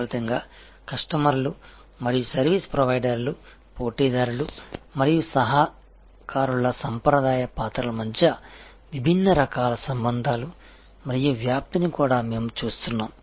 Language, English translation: Telugu, And as a result we are also seeing different kinds of relationships and the diffusion among the traditional roles of customers and service provider’s competitors and collaborators